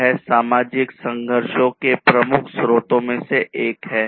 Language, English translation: Hindi, It is one of the major sources of social conflicts